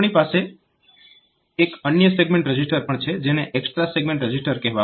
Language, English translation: Gujarati, So, another register, another segment register has been provided which is called extra segment register